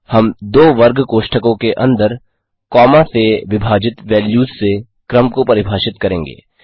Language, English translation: Hindi, We define a sequence by comma separated values inside two square brackets